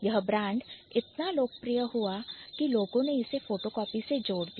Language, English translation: Hindi, So, this brand became so popular that people associated it with photocopying